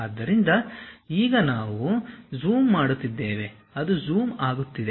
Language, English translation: Kannada, So, now we are zooming in, it is zooming out